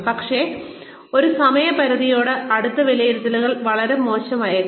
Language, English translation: Malayalam, But, very close to a deadline, appraisals may be very bad